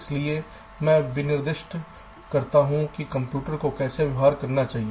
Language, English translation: Hindi, so i specify how the computer should behave now, the from